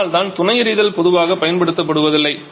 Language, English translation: Tamil, And that is why the supplementary firing are generally not used